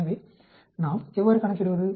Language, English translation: Tamil, So how do we calculate